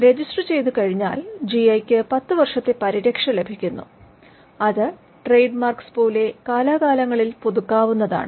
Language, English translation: Malayalam, Once registered, the GI enjoys a 10 year protection and which can be renewed from time to time like trademarks, and the GI registry is in Chennai